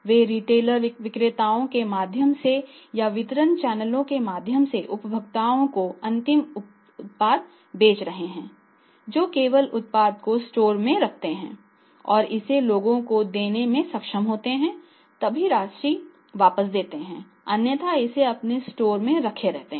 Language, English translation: Hindi, So, even they are selling the final product to the consumers through the retailers or through the distribution channels on the basis that simply keep the product in the store and if you are able to pass it on to the people than your relative path to us otherwise you keep on keeping it